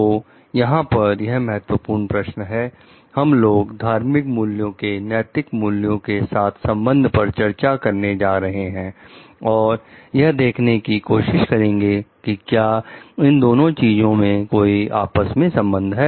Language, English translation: Hindi, So, here in this key question we are going to discuss about the relationship of religious values with the ethical values, and try to see if at all there is any relationship between these two things